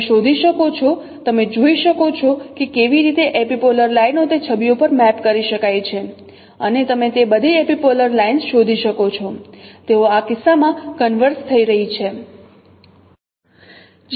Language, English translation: Gujarati, You can find you can see that how epipolar lines they can be no mapped on those images and you can find out those all those epipolar lines they are converging in this case